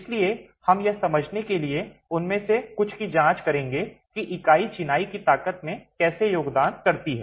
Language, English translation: Hindi, So, we will examine a few of them to understand how the unit contributes to the strength of masonry itself